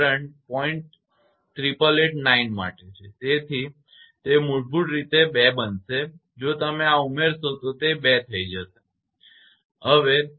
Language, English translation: Gujarati, 8889 so it is basically it will become 2 if you add this right it will become 2